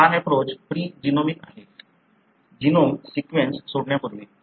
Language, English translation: Marathi, This approach is pre genomic, before the genome sequence was released